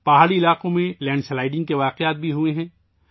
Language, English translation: Urdu, Landslides have also occurred in hilly areas